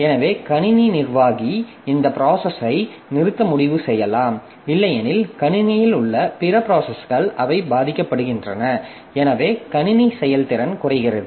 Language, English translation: Tamil, So, the system administrator may decide that this process be terminated because otherwise other processes in the system, so they are suffering